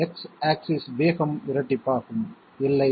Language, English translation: Tamil, The X axis speed will double, no